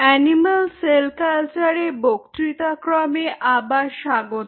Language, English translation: Bengali, welcome back to the lecture series in animal cell culture